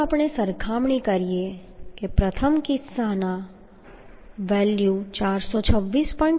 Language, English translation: Gujarati, 86 Now if we compare that in case of first one the value is coming 426